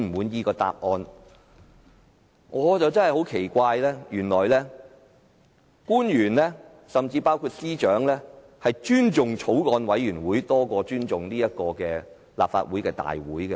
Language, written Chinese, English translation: Cantonese, 但是，我感到很奇怪的是，原來官員甚至司長，竟然尊重法案委員會的會議多於立法會會議。, However it is puzzling to me that government officials and Secretaries of Departments have attached more importance to Bills Committee meetings than Council meetings